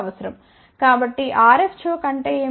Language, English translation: Telugu, So, what is RF choke